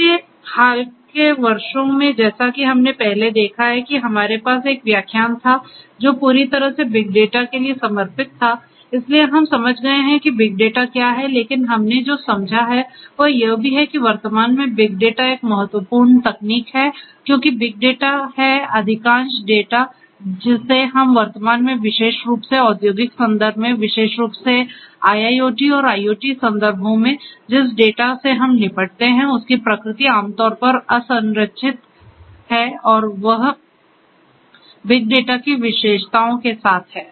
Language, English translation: Hindi, So, in recent years as we have seen before we had a lecture which was completely dedicated to big data so we have understood what big data is, but what we have understood is also that big data at present is an important technology because big data is what most of the data, that we are dealing with at present particularly in the industrial context, particularly in the IIoT and IoT contexts, the nature of the data that we deal with are typically unstructured and having the characteristics of the big data